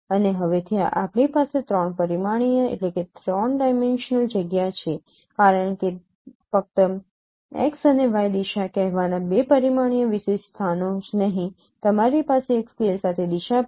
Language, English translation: Gujarati, And for that we need to convolve with image and since now you have a three dimensional space because not only the two dimensional spatial locations of say x and y direction you have a direction along scale